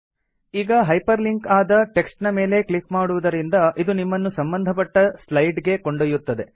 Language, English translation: Kannada, Clicking on the hyper linked text takes you to the relevant slide